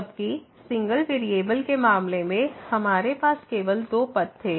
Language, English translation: Hindi, While in the case of single variable, we had only two paths